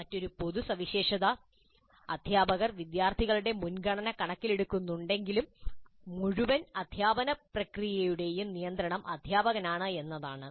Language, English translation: Malayalam, Even though they do take the preference of students into account, teachers are in control of the whole process